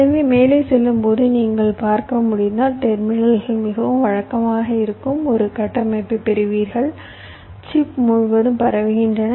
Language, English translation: Tamil, so, as you can see, as you go up and up, you get a structure where the terminals are very regularly spread all across the chip